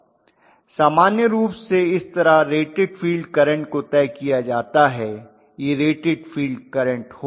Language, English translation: Hindi, That is how the rated field current is normally decided that is going to be rated field current okay